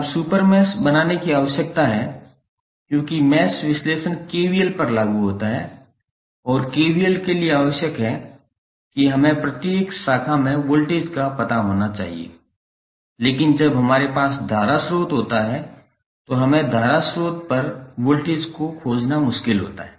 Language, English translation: Hindi, Now, super mesh is required to be created because mesh analysis applies to KVL and the KVL requires that we should know the voltage across each branch but when we have the current source we it is difficult to stabilized the voltage across the current source in advance